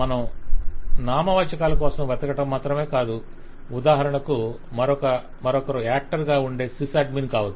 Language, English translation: Telugu, So it is not only that you look for the nouns for example, the another could be sys admin, who could be an actor